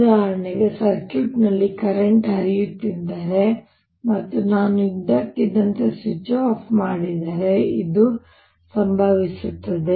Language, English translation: Kannada, this would happen, for example, if in the circuit there was a current flowing and i suddenly took switch off